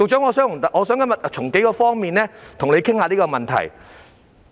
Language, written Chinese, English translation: Cantonese, 我今天想從數方面與局長討論這問題。, Today I would like to discuss this issue with the Secretary from several aspects